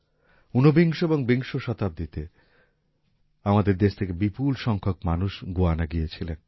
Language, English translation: Bengali, In the 19th and 20th centuries, a large number of people from here went to Guyana